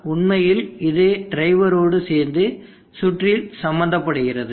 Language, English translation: Tamil, But actually this itself along with the drive is a quite an involved circuit